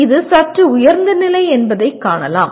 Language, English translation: Tamil, As you can see this is slightly higher level